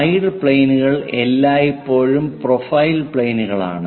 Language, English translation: Malayalam, Side planes are always be profile planes